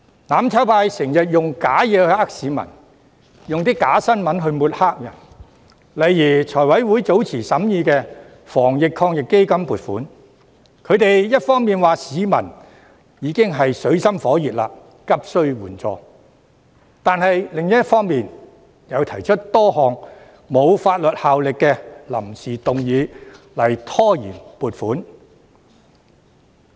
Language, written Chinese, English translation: Cantonese, "攬炒派"經常用虛假的事情欺騙市民，又用假新聞抹黑別人，例如財務委員會早前審議防疫抗疫基金撥款時，他們一方面指市民已經處於水深火熱，急須援助，但另一方面卻提出多項沒有法律效力的臨時議案拖延撥款。, The mutual destruction camp always uses fake information to cheat members of the public and uses fake news to sling mud on other people . For example some time ago when the Finance Committee considered the funding proposal of the Anti - epidemic Fund the mutual destruction camp had on the one hand pointed out that people were living in dire straits and were desperately in need of support but on the other hand they put forward a number of motions without notice that have no legislative effect to delay the allocation of funds